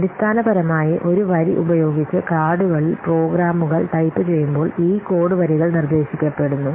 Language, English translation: Malayalam, Basically, this line of code was proposed when programs were typed on cards with one line per card